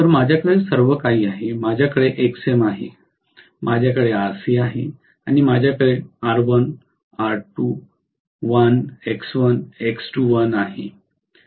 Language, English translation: Marathi, So I have got everything, I have got XM, I have got RC and I have got R1 R2 dash X1 X2 dash